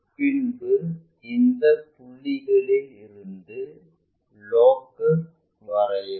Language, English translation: Tamil, After, that draw a locus from this point